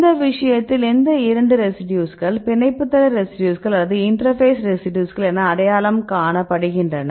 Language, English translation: Tamil, So, in this case these residues are identified as binding site residues or the interface residues